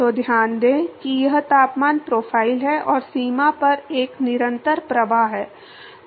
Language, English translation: Hindi, So, note that this is the temperature profile and there is a constant flux at the boundary